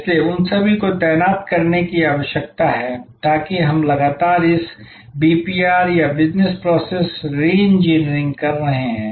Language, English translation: Hindi, So, all those need to be deployed, so that we are constantly doing this BPR or Business Process Reengineering